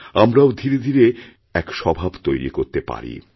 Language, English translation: Bengali, Here too we can gradually nurture this habit